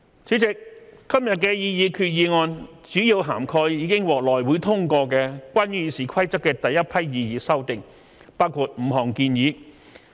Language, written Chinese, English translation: Cantonese, 主席，今天的擬議決議案主要涵蓋已獲內會通過的關於《議事規則》的第一批擬議修訂，包括5項建議。, President this proposed resolution today mainly covers the first batch of proposed amendments in relation to RoP endorsed by the House Committee and it includes five proposals